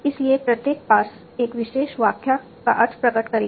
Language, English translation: Hindi, So, each individual pars will denote one particular interpretation